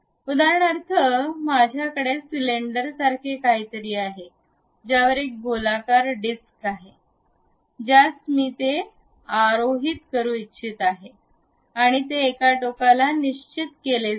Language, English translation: Marathi, For example, I have something like a cylinder on which there is a circular disc I would like to really mount it and it is supposed to be fixed at one end